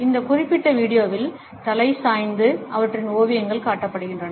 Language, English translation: Tamil, In this particular video the head tilts and their paintings have been displayed